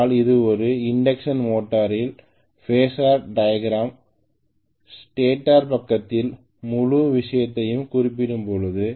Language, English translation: Tamil, But this is what is the Phasor diagram of an induction motor, when I am referring the whole thing to the stator side right